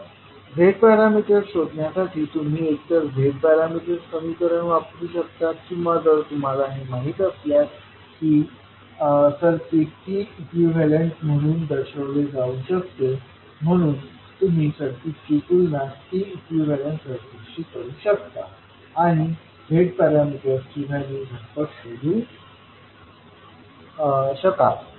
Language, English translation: Marathi, So, you can use either the Z parameter equations to find out the Z parameters, or you, if you know that the circuit is, a circuit can be represented as a T equivalent, so you can compare the circuit with T equivalent circuit and straight away you can find out the value of Z parameters